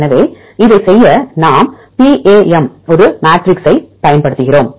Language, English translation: Tamil, So, to do this we use PAM one matrix